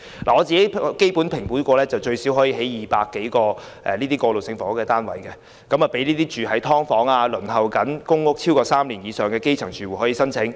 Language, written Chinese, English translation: Cantonese, 據我評估，該用地最少可興建200多個過渡性房屋單位，供輪候公屋超過3年的基層"劏房"住戶申請。, According to my estimation this site can be used to build at least some 200 transitional housing units to be applied by tenants of subdivided units who have been on the PRH waiting list for more than three years